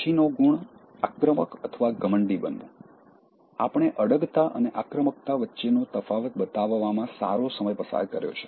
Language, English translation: Gujarati, Next, Being Aggressive/Arrogant: we have spent quite some time distinguishing between assertiveness and aggressiveness